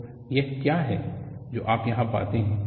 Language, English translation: Hindi, So,that is what you find here